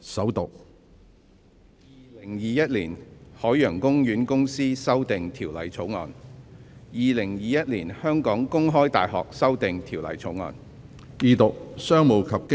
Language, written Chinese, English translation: Cantonese, 《2021年海洋公園公司條例草案》《2021年香港公開大學條例草案》。, Ocean Park Corporation Amendment Bill 2021 The Open University of Hong Kong Amendment Bill Bills read the First time and ordered to be set down for Second Reading pursuant to Rule 533 of the Rules of Procedure